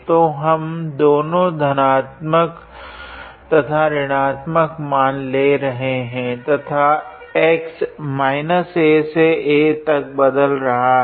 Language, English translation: Hindi, So, basically we take both plus and minus value and x is varying from minus a to plus a